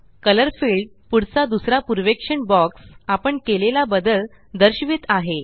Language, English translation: Marathi, The second preview box next to the Color field shows the changes that we made